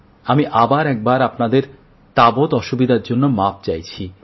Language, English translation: Bengali, Once again, I apologize for any inconvenience, any hardship caused to you